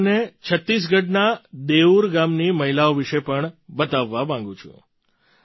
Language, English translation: Gujarati, I also want to tell you about the women of Deur village of Chhattisgarh